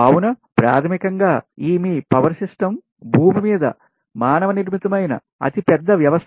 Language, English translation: Telugu, so basically that your power system actually is the largest man made, largest dynamic system on the earth